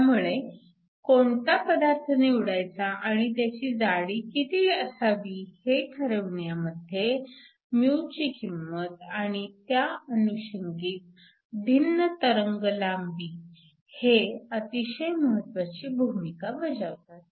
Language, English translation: Marathi, So, the value of mu and the corresponding at different wavelengths, something that plays a very important role in determining the type of material you would choose and also the thickness of the material